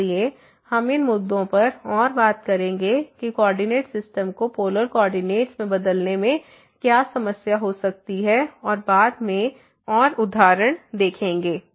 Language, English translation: Hindi, So, we will talk more on these issues that what could be the problem by while changing the coordinate system to polar coordinate and more examples later